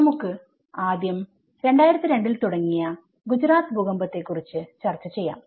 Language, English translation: Malayalam, And in the early 2000 like 2002 when the whole disaster has been struck in Gujarat earthquake